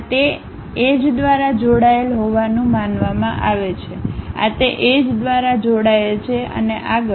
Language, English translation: Gujarati, These supposed to be connected by those edges, these connected by that edges and further